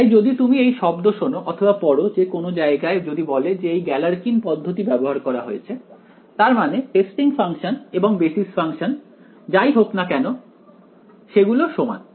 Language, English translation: Bengali, So, if you hear if you read the word anywhere with says Galerkin’s method was applied, it means the testing function and the basis function whatever they maybe about the same